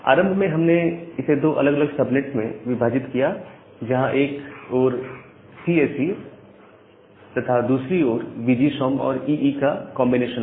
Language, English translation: Hindi, So, initially we divide it into two different subnet, where I have CSE in one side, and the combination of VGSOM plus EE in another side